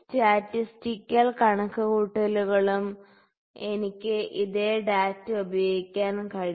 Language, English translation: Malayalam, So, I can use the same data in statistical calculations as well